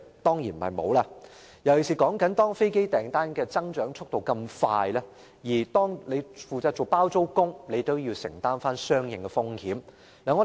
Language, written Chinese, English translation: Cantonese, 當然不是。尤其當飛機訂單數量快速增長，"包租公"也要承擔相應風險。, Surely not not least because renters must bear the corresponding risks when aircraft orders grow rapidly